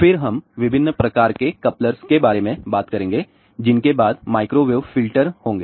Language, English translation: Hindi, Then we will talk about different types of couplers which will be followed by microwave filters